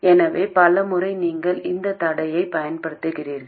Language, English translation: Tamil, So many times you use this constraint as well